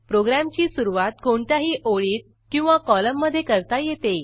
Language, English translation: Marathi, You can start writing your program from any line and column